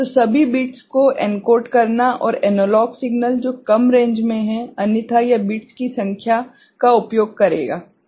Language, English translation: Hindi, So, all the bits to encode and analog signal which is having a lower range right, otherwise it will use lesser number of bits ok